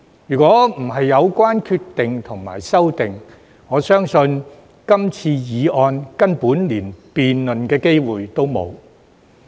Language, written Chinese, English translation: Cantonese, 如果不是因為有關決定和修訂，我相信今次議案根本連辯論的機會也沒有。, But for the said decision and amendments I believe there would have been no chance whatsoever for this motion to be debated